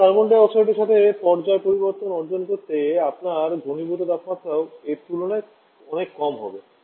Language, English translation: Bengali, So, in order to achieve our phase change with carbon dioxide your condenser temperature also has to be much lower than this